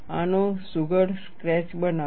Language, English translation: Gujarati, Make a neat sketch of this